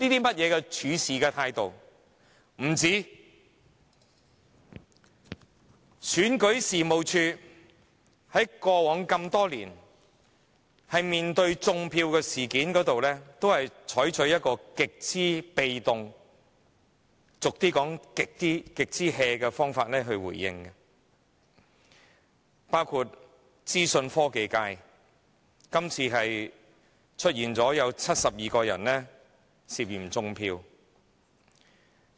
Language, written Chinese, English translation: Cantonese, 不僅如此，選舉事務處過往多年在處理"種票"的事情上，都採取極為被動或俗語說是極""的方法處理。包括資訊科技界，這次竟出現有72個人涉嫌"種票"的情況。, Yet that was not all . The Registration and Electoral Office has been adopting a perfunctory approach in dealing with vote - rigging matters over the years including the vote - rigging of the Information Technology Functional Constituency involving as many as 72 suspected cases